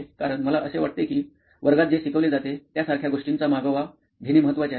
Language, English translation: Marathi, Because I think that it is important to get a track of things like what has been taught in the class